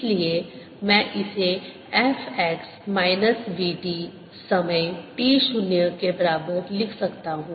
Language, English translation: Hindi, t, so i can write this as f x minus v t, time t equal to zero